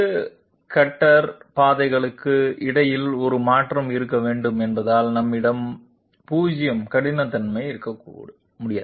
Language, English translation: Tamil, Since we cannot have 0 roughness because there has to be a shift between 2 cutter paths